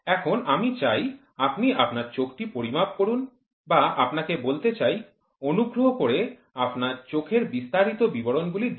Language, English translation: Bengali, Now I want to measure your eye or let me tell you please give the specification for your eyes